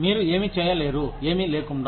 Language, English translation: Telugu, What can you not do, without